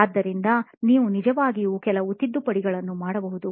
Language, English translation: Kannada, So, you can actually make some corrections